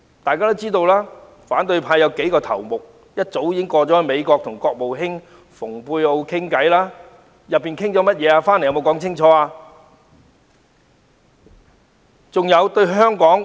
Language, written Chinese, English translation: Cantonese, 大家也知道，反對派有數名頭目早已前往美國與國務卿蓬佩奧對話，他們回來後有否清楚交代對話內容？, As we all know several ringleaders from the opposition camp went to the United States for a dialogue with Secretary of State Michael POMPEO long ago . Did they give a clear account of what had been said after their return?